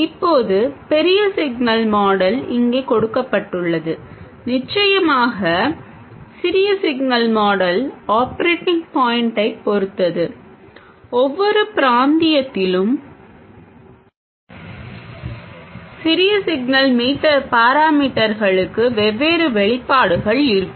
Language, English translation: Tamil, The small signal model of course depends on the operating point and in each region we will have a different expression for the small signal parameters